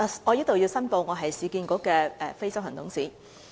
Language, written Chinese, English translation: Cantonese, 我在此申報，我是市建局的非執行董事。, I declare here that I am a non - executive director of URA